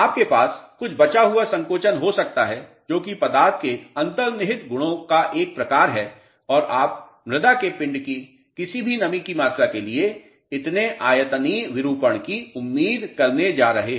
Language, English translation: Hindi, You may have some residual shrinkage which is a sort of a inherent property of the material and this much volumetric deformation you are going to expect for any volumetric moisture content of the soil mass